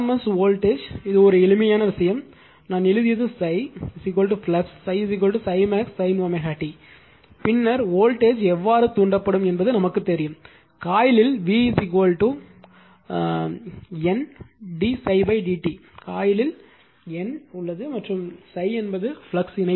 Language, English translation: Tamil, This is the RMS voltage a simple thing just for this thing I have written the phi is equal to flux is phi is equal to phi max sin omega t then, how the voltage will be induced and we know v is equal to, N d phi by d t in coil you have N number of tones and phi is the flux linkage